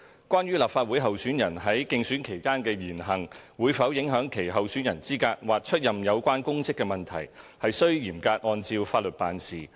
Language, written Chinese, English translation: Cantonese, 關於立法會候選人在競選期間的言行會否影響其候選人資格或出任有關公職的問題，須嚴格按照法律辦事。, Whether the words and deeds of Legislative Council election candidates during the election period will affect their eligibility as candidates or their assumption of relevant public office is a matter that must be handled strictly in accordance with law